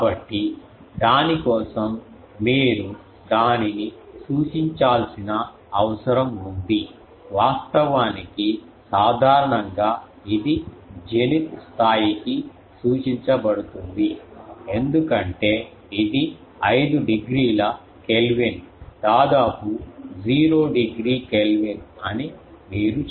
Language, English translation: Telugu, So, for that you need to point it to the thing, actually generally it is pointed to the zenith because that is 5 degree Kelvin almost 0 degree Kelvin you can say